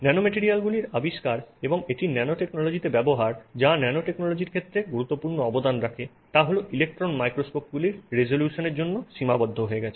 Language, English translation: Bengali, Well, the discovery of nanomaterials and its use in nanotechnology has been limited by the resolution of electron microscopes